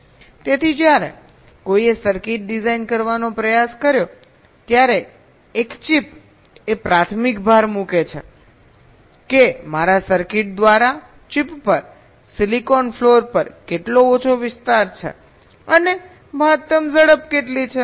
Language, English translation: Gujarati, so when someone try to design a circuit, a chip, the primary emphasis was how much less area is occupied by my circuits on the chip, on the silicon floor, and what is the maximum speed